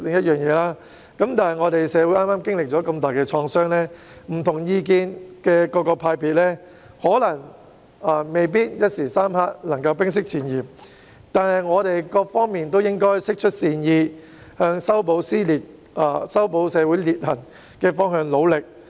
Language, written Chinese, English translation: Cantonese, 社會剛剛經歷了如此重大的創傷，持不同意見的各個派別未必能夠在短時間內冰釋前嫌，但各方面都應該釋出善意，朝着修補社會裂痕的方向而努力。, As society has just suffered such significant trauma it might not be able for various camps holding different opinions to bury the hatchet in a short period of time . Yet all parties should exude friendliness and strive hard to mend the rift in society